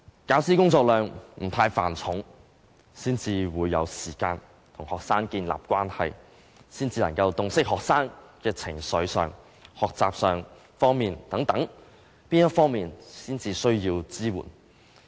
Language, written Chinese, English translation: Cantonese, 教師工作量不太繁重，才會有時間跟學生建立關係，才能洞悉學生在情緒及學習等哪方面需要支援。, If the teachers are not overloaded they will have time to establish relationships with the students so that they can clearly identify the emotional and learning support the students need